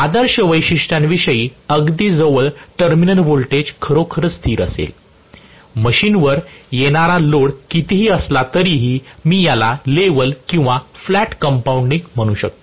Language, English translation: Marathi, very close to the ideal characteristics which will actually have the terminal voltage fairly constant, irrespective of the load the time putting on the machine, then I may call this as level or flat compounding